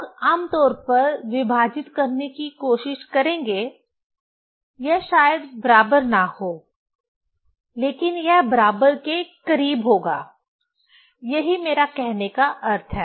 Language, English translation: Hindi, People generally will try to divide, it may not be equal, but it will be close to equal, that is what I want to mean